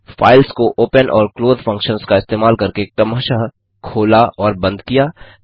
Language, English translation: Hindi, Open and close files using the open and close functions respectively